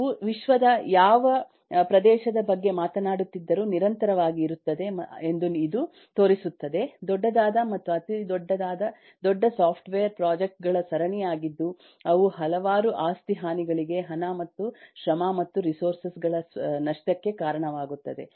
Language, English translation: Kannada, I mean, irrespective of which region of the world you are talking of, there are series of large to very large to huge software projects which are failing, causing several damages eh to eh property, loss of money and effort and resources